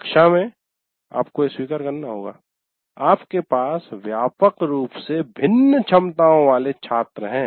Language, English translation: Hindi, And what happened in a classroom, you have to acknowledge that you have students with widely varying abilities in your class